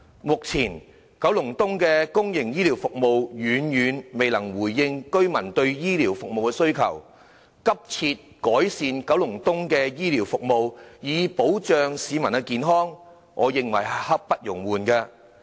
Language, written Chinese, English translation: Cantonese, 目前，九龍東的公營醫療服務遠遠未能回應居民對醫療服務的需求，改善九龍東的公營醫療服務以保障市民的健康，我認為是刻不容緩的。, At present public healthcare services in Kowloon East greatly fails to respond to residents demand for healthcare services . I find it an urgent need to improve public healthcare services in Kowloon East to protect public health